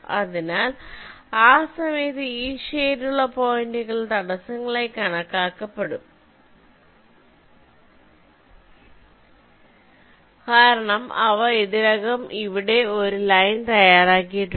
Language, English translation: Malayalam, so during that time these shaded points will be regarded as obstacles because they have already laid out a live here